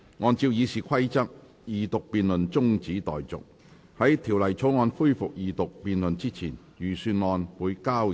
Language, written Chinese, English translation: Cantonese, 按照《議事規則》，二讀辯論中止待續；在條例草案恢復二讀辯論之前，預算案交由財務委員會審核。, In accordance with the Rules of Procedure the Second Reading debate is adjourned and the Estimates are referred to the Finance Committee for examination before the debate on the Bill resumes